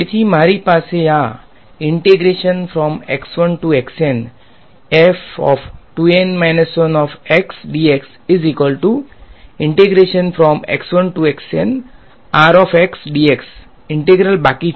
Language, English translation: Gujarati, So, what will this integral be